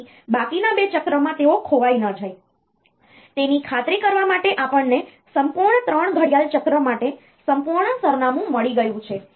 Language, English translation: Gujarati, So, that they are not lost in the remaining 2 cycles, to make sure that we have got entire address for the full 3 clock cycles